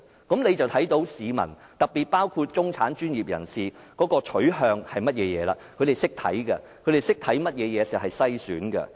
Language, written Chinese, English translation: Cantonese, 這樣就看到市民，特別包括中產、專業人士的取向是甚麼，他們懂得看甚麼是篩選。, We can thus see what the public especially the middle class and the professionals ask for and they understand what is screening